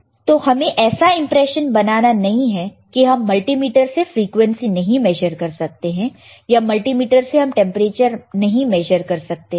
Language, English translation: Hindi, So, do not come under the impression that the multimeter cannot be used to measure frequency; the multimeter cannot be used to measure temperature, right